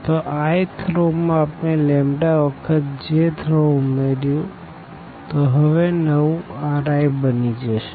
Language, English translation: Gujarati, So, the i th row we have added this lambda times this j th row and the new R i will come up